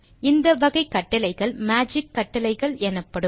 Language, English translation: Tamil, These other type of commands are called as magic commands